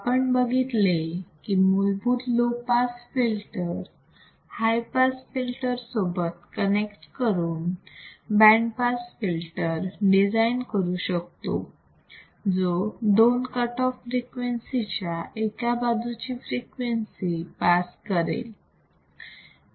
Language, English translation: Marathi, We have seen a basic R c low pass filter combined with RC high pass filter to form a simple filter that will pass a band of frequencies either side of two cutoff frequencies